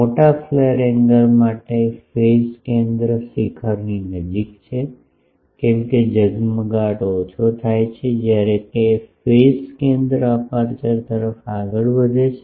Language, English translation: Gujarati, For large flare angle phase center is closer to apex as flaring decreases the phase center moves towards the aperture